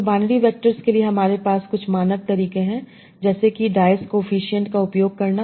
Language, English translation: Hindi, So for binary vectors we have some standard methods like using dice coefficient